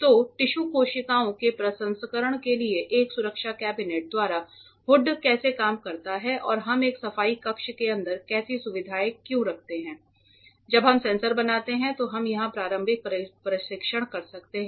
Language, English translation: Hindi, So, this is how a hood works by a safety cabinet for processing tissue cells and all why we are having such a facility inside a cleanroom is as and when we make the sensors we can do a preliminary testing here itself